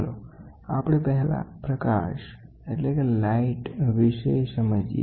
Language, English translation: Gujarati, Let us first try to understand light